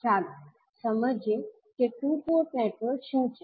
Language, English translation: Gujarati, So, let us understand what two port network